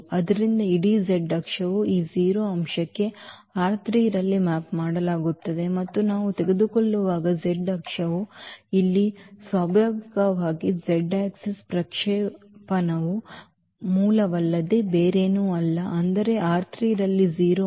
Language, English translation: Kannada, So, the whole z axis will be mapped to this 0 element in R 3 and that is natural here because the z axis when we take the projection of the z axis is nothing but the origin that is means a 0 element in R 3